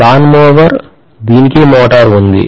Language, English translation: Telugu, Lawnmower, it has motor